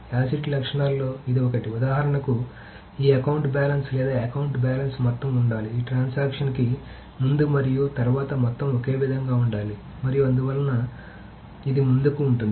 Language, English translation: Telugu, So this is one of the acid properties, that for example, this account balance, the sum of account balance should be, the total should be the same before and after the transaction and so on so forth